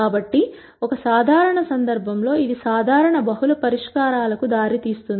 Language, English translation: Telugu, So, in a general case this will usually lead to multiple solutions